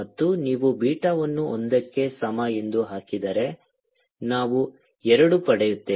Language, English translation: Kannada, and if you put beta is equal to one will get two